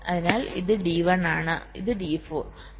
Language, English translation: Malayalam, so this is d one and this d four